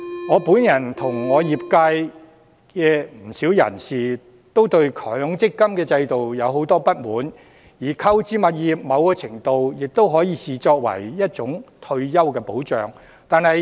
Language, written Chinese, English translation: Cantonese, 我本人和業界不少人都對強積金制度有很多不滿，而購置物業在某程度上都可以視為一種退休保障。, I myself and many members of the sector are greatly dissatisfied with the MPF system; and the acquisition of property can to a certain extent be regarded as a kind of retirement protection